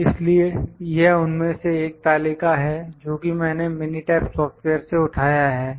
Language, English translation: Hindi, So, this is one of the charts that I have picked from the Minitab software